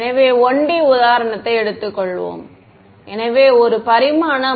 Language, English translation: Tamil, So, let us take a 1D example so, one dimensional ok